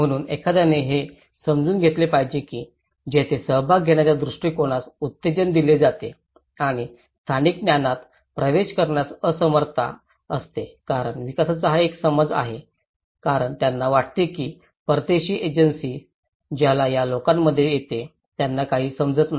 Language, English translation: Marathi, So one has to understand that interaction that is where participatory approaches are very well encouraged and inability to access local knowledge because this is one perception to development they think that the foreign agencies whoever comes within that these people doesnÃt know anything one has to understand that they know many things one need to tap that resources